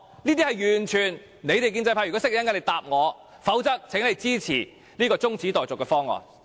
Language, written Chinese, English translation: Cantonese, 如果建制派知道答案，請於稍後告訴我，否則，請他們支持這項中止待續議案。, If the pro - establishment camp knows the answer please tell me later . Otherwise will they please support this motion to adjourn the debate